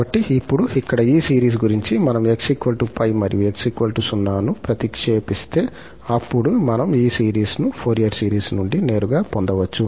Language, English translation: Telugu, So, now, about this series here, we have to observe that if we substitute x is equal to plus minus pi and x equal to 0, so then, we can get these series directly from the Fourier series